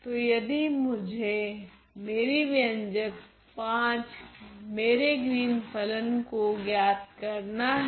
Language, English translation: Hindi, So, if I were to evaluate my expression V my Green’s function